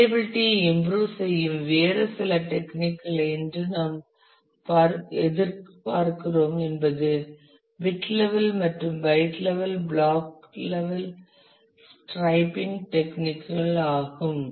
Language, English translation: Tamil, That we expect today another some of the other techniques which improve reliability is bit level and byte level block level striping techniques